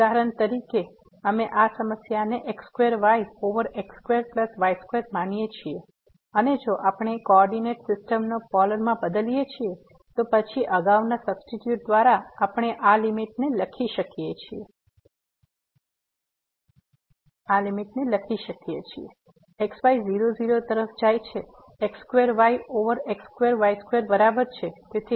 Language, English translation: Gujarati, For example, we consider this problem square over square plus square and if we change the coordinate system to the Polar, then by the substitution as earlier, we can write down this limit goes to ; square over square square is equal to